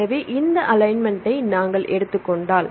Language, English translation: Tamil, So, if we take this alignment